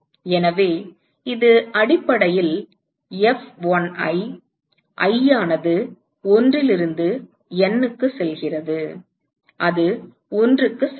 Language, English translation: Tamil, So, it is essentially F1i, i going from 1 to N that is equal to 1